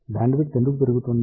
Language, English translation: Telugu, Why bandwidth is increasing